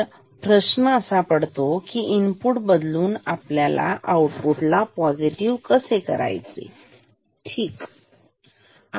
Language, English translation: Marathi, So, the question is how can we make output positive by changing input ok